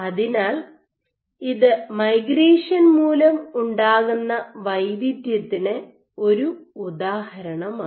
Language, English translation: Malayalam, So, this is an example of migration induced heterogeneity